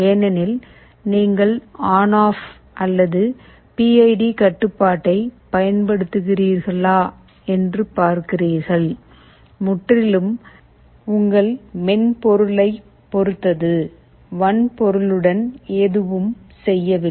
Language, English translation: Tamil, Because, you see whether you use ON OFF or PID control depends entirely on your software, and nothing to do with the hardware